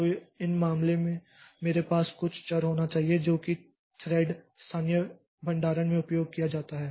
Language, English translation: Hindi, So, in this case I should have some variable which is used as in the thread local storage